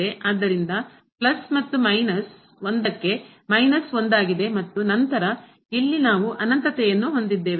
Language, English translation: Kannada, So, plus and into minus one is minus one and then, here we have infinity